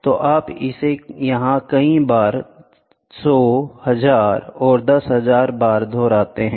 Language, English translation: Hindi, So, this many a times you repeat it 100 1000 and 10000 times